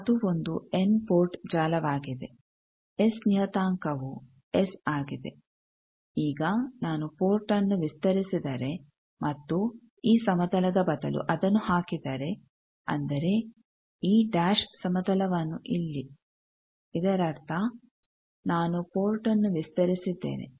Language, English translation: Kannada, It is an input network the S parameter is S, now suppose I extend the port and put that instead of this plane I say these dash plane here that means, I have extended the port